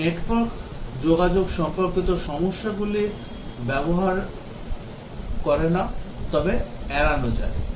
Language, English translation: Bengali, It does not use network communication related problems can be ruled out and so on